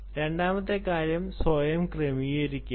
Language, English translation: Malayalam, the second thing is: is self configuring